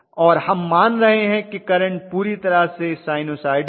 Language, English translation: Hindi, And we are assuming that the currents are perfectly sinusoidal